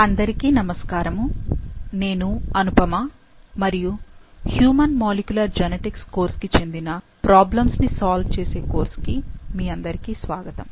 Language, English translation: Telugu, So, hello everyone, I am Anupama and welcome to the problem solving class of human molecular genetics course